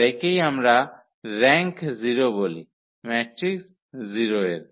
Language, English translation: Bengali, So, this is what we call the rank of 0 matrix is 0